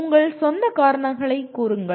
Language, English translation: Tamil, Give your own reasons